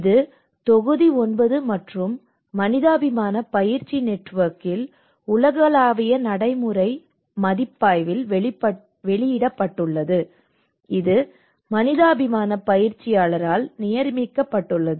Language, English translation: Tamil, And it is published in the global practice review in volume 9 and Humanitarian Practice Network which has been commissioned by the humanitarian practitioner